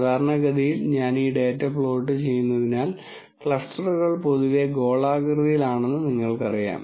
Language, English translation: Malayalam, Typically I have been plotting to this data so that you know the clusters are in general spherical